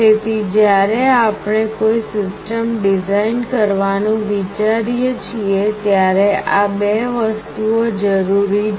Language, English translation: Gujarati, So, when we think of designing a system these two things are required